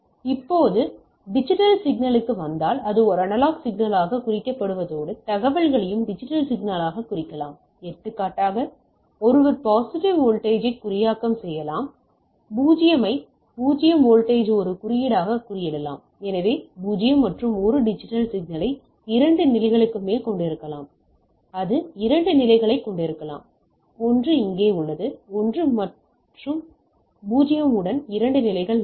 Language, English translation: Tamil, Now, if you come to the digital signal it addition to being represented by a analog signal, information can all be also be represented by a digital signal; for example, one can encoded as a positive voltage, 0 can be encoded as a means as a 0 voltage, so I can have 0 and 1 digital signal can have more than 2 levels, even it can have 2 levels, 1 is here it is only 2 levels right with 1 and 0